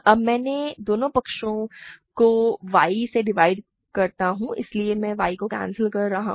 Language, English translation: Hindi, Now, I divide by y both sides so I cancel y